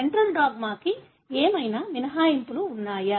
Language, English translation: Telugu, Are there any exceptions to central dogma